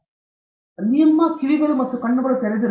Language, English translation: Kannada, So, keep your ears and eyes wide open